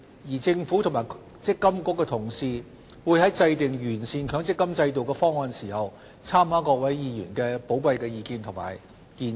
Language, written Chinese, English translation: Cantonese, 而政府與積金局的同事會在制訂完善強積金制度的方案時，參考各位議員的寶貴意見及建議。, My colleagues in the Government and MPFA will take into account the valuable views and suggestions given by Members when formulating plans to perfect the MPF System